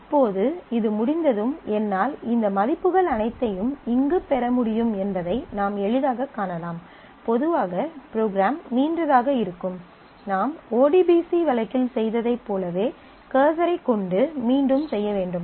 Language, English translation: Tamil, So, now, you can easily see that once this has been done I will be able to get all these values here, normally the program would be longer the you will have to iterate over the cursor as you did in case in the ODBC case